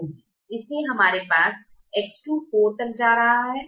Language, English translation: Hindi, so we have x two going upto four